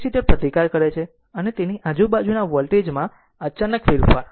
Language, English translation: Gujarati, The capacitor resist and abrupt change in voltage across it